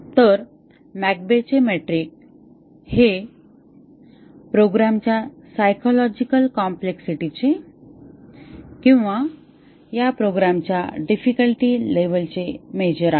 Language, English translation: Marathi, So, the McCabe’s metric is a measure of the psychological complexity of the program or the difficulty level of this program